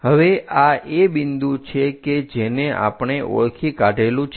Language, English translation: Gujarati, Now, this is the point what we are identifying